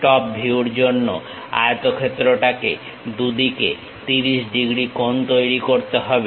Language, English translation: Bengali, For the top view the rectangle has to make 30 degrees equal angles on both sides